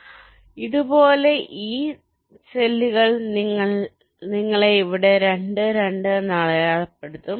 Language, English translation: Malayalam, so like this, this cells, you will be marked as two: two here, two here, two here or two here